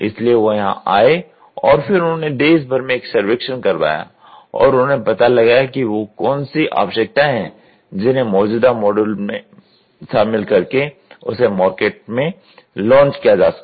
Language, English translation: Hindi, So, they came down and then What they did was they went around the country to do a survey and see what are all the requirements which has to be customised to the existing model such that they can have the release